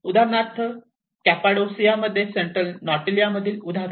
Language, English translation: Marathi, For instance, in Cappadocia an example in the Central Anatolia